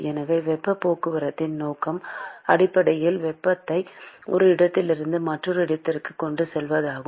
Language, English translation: Tamil, So, the purpose of heat transport is basically to transport heat from one location to another